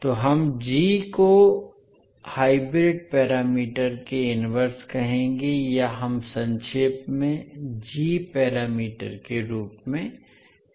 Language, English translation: Hindi, So, we will say g as inverse of hybrid parameters or we say in short as g parameters